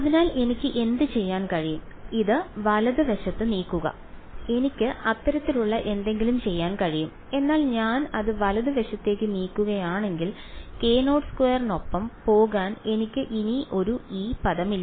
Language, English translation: Malayalam, So, what can I do, this move it to the right hand side I can do something like that, but if I move it to the right hand side I no longer have a E term to go along with k naught squared